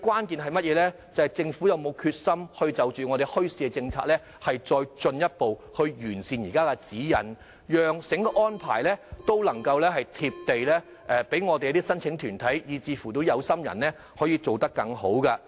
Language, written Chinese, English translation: Cantonese, 便是政府有否決心進一步完善現時的墟市政策指引，讓整個安排能夠"貼地"，讓申請團體和有心人可做得更好。, What matters most is whether the Government has the determination to further improve the existing bazaar policy guidelines so that the whole arrangement can be down to earth and the organization applicants and interested parties can thus do a better job